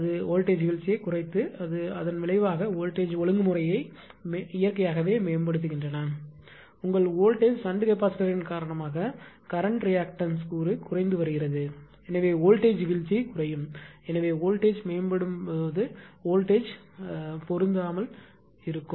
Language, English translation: Tamil, They reduce voltage drop and consequently improve voltage regulation naturally if your voltage is because of shunt capacitor the reactive component of the current is getting decreased therefore, that in the line the voltage drop will be reduce hence the voltage ah voltage will do not match when voltage will improve